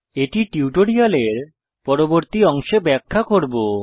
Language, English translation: Bengali, It will be explained in subsequent part of the tutorial